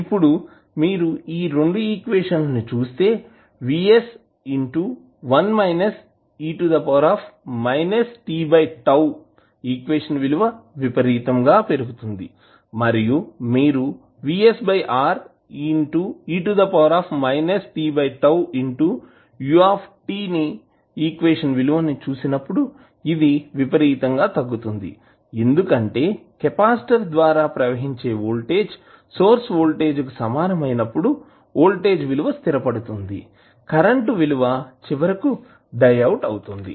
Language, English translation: Telugu, Now, if you see these 2 equations this equation is increasing exponentially and when you see this equation this is decreasing exponentially which is obvious because when the voltage settles across the capacitor equals to the source voltage